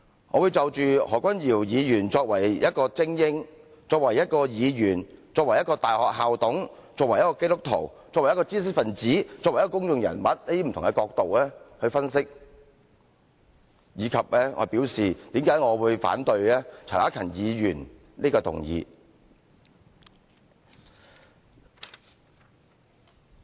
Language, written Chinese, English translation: Cantonese, 我會就着何君堯議員作為一位精英、作為一位議員、作為一位大學校董、作為一位基督徒、作為一位知識分子、作為一位公眾人物等，不同的角度來分析，以及我為何反對陳克勤議員這項議案。, I will analyse this from the perspective that Dr Junius HO is an elite a legislator a council member of an university a Christian an intellectual a public figure etc . I will approach the issue from different angles and explain why I reject Mr CHAN Hak - kans motion